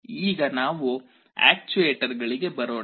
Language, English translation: Kannada, Now, let us come to actuators